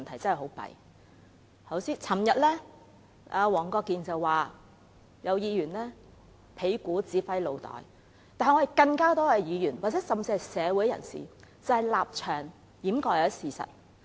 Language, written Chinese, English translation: Cantonese, 昨天，黃國健議員說有議員是"屁股指揮腦袋"，但其實更多議員，甚至是社會人士，現在是以立場掩蓋事實。, Yesterday Mr WONG Kwok - kin said that some Members allow their butts to direct the brain . Actually more Members and even members of the community are now concealing the facts because of their position